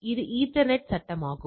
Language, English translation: Tamil, This is the ethernet frame all right